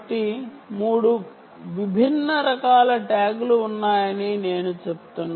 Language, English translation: Telugu, so i am just saying that there are three different types of tags